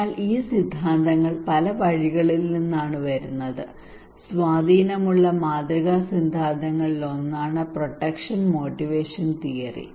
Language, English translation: Malayalam, So these theories came from many routes, one of the prominent influential model theory is the protection motivation theory